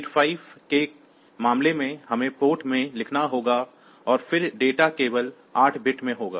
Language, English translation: Hindi, So, in case of say 8085; so, we have to write in port and then the data is 8 bits only